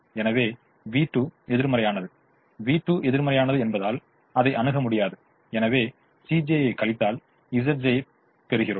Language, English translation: Tamil, so v two is negative, v two is negative, therefore it is infeasible and therefore we look at c j minus z j